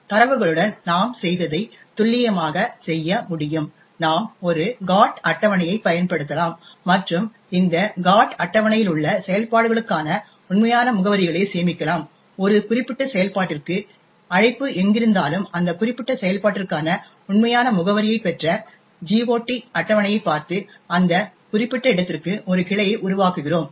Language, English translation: Tamil, With functions we can do precisely what we have done with data, we could use a GOT table and store the actual addresses for the functions in this GOT table, wherever there is a call to a particular function we look up the GOT table obtained the actual address for that particular function and then make a branch to that particular location